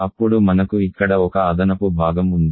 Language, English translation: Telugu, Then we have one additional part here